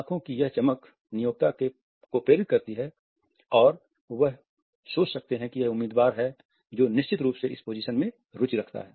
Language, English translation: Hindi, This is sparkle inspires the employer who may think that here is a candidate who is definitely interested in the position